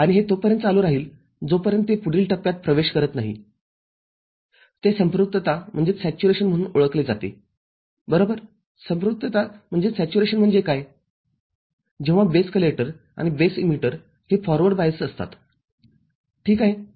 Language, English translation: Marathi, And, this will continue till it enters the next stage what is known as saturation – right, what is known as saturation, when both base collector and base emitter junctions are forward biased ok